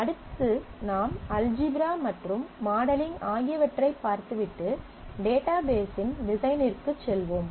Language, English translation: Tamil, And next we will move onto the design of the database looking into the algebra and the modelling